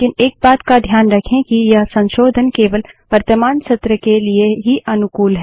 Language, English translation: Hindi, But, remember one thing that these modifications are only applicable for the current session